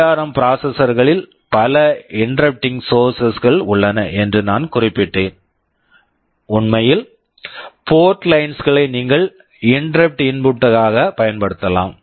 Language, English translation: Tamil, I mentioned that in ARM processors there are many interrupting source; in fact, any of the port lines you can use as an interrupt input